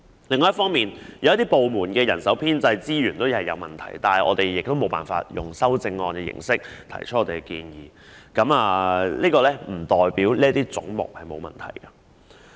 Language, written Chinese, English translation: Cantonese, 另一方面，有些部門的人手編制及資源出現問題，我們同樣無法以修正案的形式提出我們的建議，但這不代表這些總目的撥款額沒有問題。, Moreover there are problems in the staff establishment and resources of some departments but by the same token we cannot propose our suggestions by way of amendments . Nevertheless it does not mean there is no problem with the fundings allocated to such heads